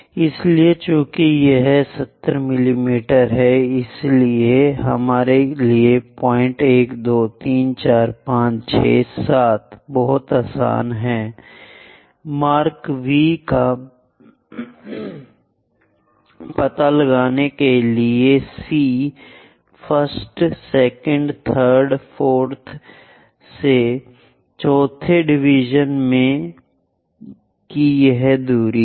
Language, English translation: Hindi, So, because it is 70 mm is easy for us to locate point 1, 2, 3, 4, 5, 6, 7 mark V at the fourth division from C 1st first 2nd 3rd 4th, so that distance is 1 unit 2 units 3 units 4 unit 40 mm and from focus to point of the curve